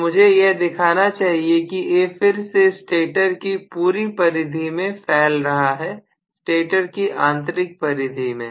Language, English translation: Hindi, So I should show as though may be the A is again spreading over the entire you know the periphery of the stator, the inner periphery of the stator